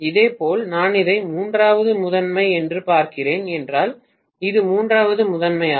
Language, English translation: Tamil, Similarly, if I am looking at this as the third primary so this is the third primary which is coupled to that